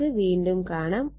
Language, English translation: Malayalam, We will be back again